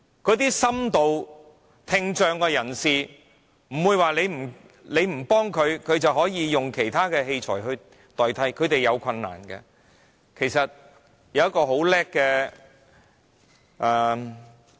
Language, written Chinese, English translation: Cantonese, 一些深度聽障人士不會因為你不幫他們，便自然有其他器材代替，他們仍然要面對困難。, If you do not help people with profound hearing impairment there will not be other spontaneous help for them and they still have to face the difficulties